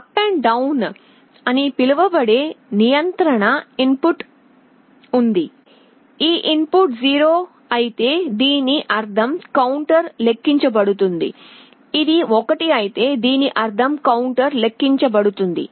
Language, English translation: Telugu, There is a control input called a U/D’, if this input is 0 this means the counter will count down, if it is a 1 this will mean the counter will count up